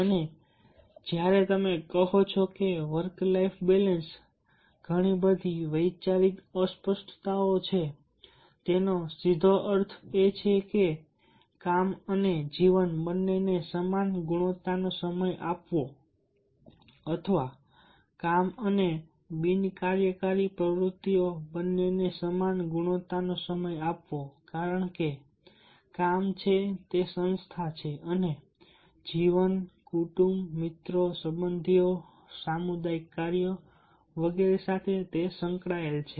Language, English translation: Gujarati, it simply means giving the equal amount of quality time to both work and life, or giving the amount amount of equal amount of quality time to both work and non work activities, because work is associated with organization and life is associated with family, friends, relatives, community work and so on